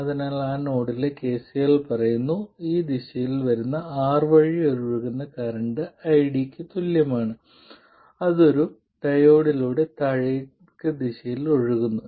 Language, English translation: Malayalam, So, KCL at that node says that the current flowing through R in this direction equals ID which is current flowing through the diode in the downward direction